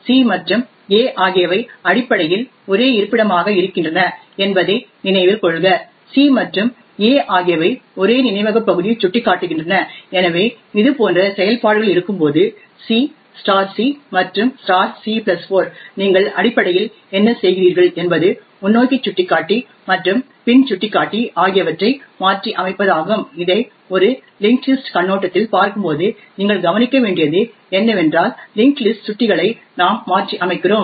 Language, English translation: Tamil, Note that c and a are essentially the same location, c and a are pointing to the same memory chunk therefore when we have operations like c and *c and *(c+4) what you are essentially doing is modifying the forward pointer and the back pointer essentially when we look at this from a linked list perspective what you would notice is that we are modifying the linked list pointers